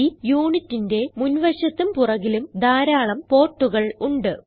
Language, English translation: Malayalam, It has many ports in the front and at the back of the unit